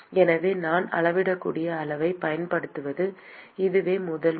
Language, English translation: Tamil, So, this is the first time I am using measurable quantity